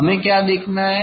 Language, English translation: Hindi, what we have to see